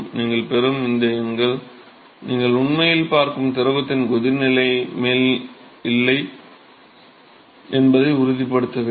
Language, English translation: Tamil, You have to make sure that these numbers that you get are not above the boiling point of the fluid, that you are actually looking at